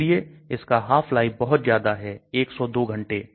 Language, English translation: Hindi, So its half life is quite large, 102 hours